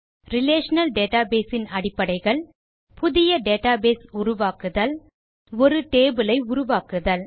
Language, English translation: Tamil, Relational Database basics, Create a new database, Create a table